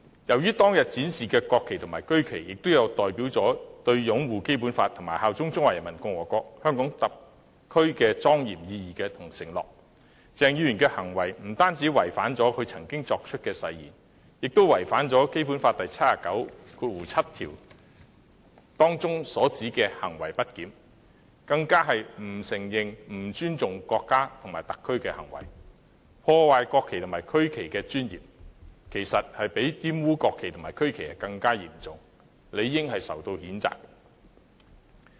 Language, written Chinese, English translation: Cantonese, 由於當天所展示的國旗和區旗均代表着擁護《基本法》和效忠中華人民共和國香港特別行政區的莊嚴意義和承諾，鄭議員的行為不但違反其曾作出的誓言，亦干犯《基本法》第七十九條第七項所指的行為不檢，更是不承認、不尊重國家和特區的行為，破壞國旗和區旗的尊嚴，其實較玷污國旗和區旗更為嚴重，理應受到譴責。, As the national flags and regional flags displayed on that day represent the solemn pledge and significance of upholding the Basic Law and swearing allegiance to HKSAR of the Peoples Republic of China Dr CHENGs conduct was not only in breach of the oath taken by him but also constituted misbehaviour under Article 797 of the Basic Law . The severity of this act of denying and disrespecting the country and HKSAR tarnishing the dignity of the national flag and regional flag was in fact of a more serious degree than that of defiling the national flag and regional flag . It is justifiable that such conduct should be censured